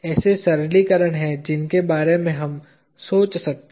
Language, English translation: Hindi, There are simplifications that we can think of